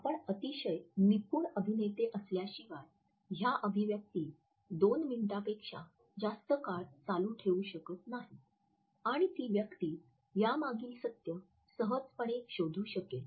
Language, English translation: Marathi, Unless and until we are very accomplished actors, we cannot continue this expression for more than two minutes perhaps and the other person can easily find out the truth behind us